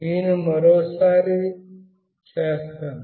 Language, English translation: Telugu, I will do once more